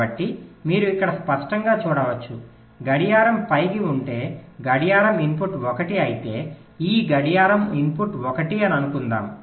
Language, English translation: Telugu, so you can see here clearly: if clock is high, lets say clock input is one, then whatever this clock input is one